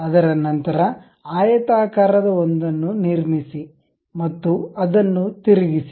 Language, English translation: Kannada, After that, construct a rectangular one and rotate it